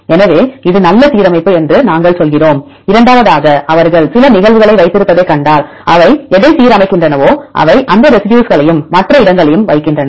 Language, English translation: Tamil, So, we tell this is good alignment, second also if you see they probably put some cases which are whatever they align they put these residues and other places they put the gaps